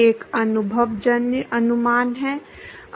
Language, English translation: Hindi, One is the empirical estimation